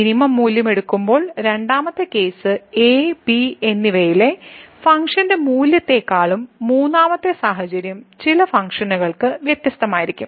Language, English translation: Malayalam, The second case when we take the minimum value is different than the function value at and and the third situation that for some functions both maybe different